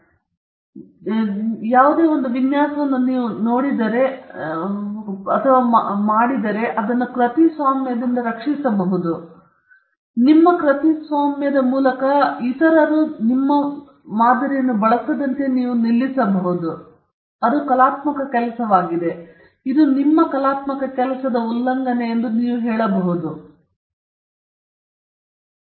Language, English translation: Kannada, So, if you have a design, and if by some means you can protect it by a copyright, then you can stop people from using that design through your copyright, because it’s an artistic work; you can say that there is infringment of your artistic work, then the protection is your life plus 60 years